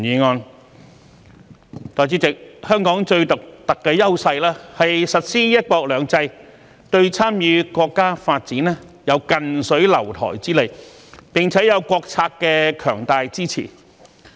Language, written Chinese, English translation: Cantonese, 代理主席，香港最獨特的優勢是實施"一國兩制"，對參與國家發展有近水樓台之利，並且有國策的強大支持。, Deputy President Hong Kongs most unique advantage is the implementation of one country two systems which provides the convenience of closeness for us to participate in the national development and enables us to obtain the strong support of national policy